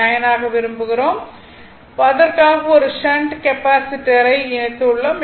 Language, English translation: Tamil, 9 for which we have connected one shunt Capacitor right